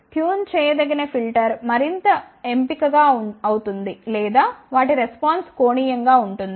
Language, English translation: Telugu, So, the tunable filter will be more selective or their response will be steeper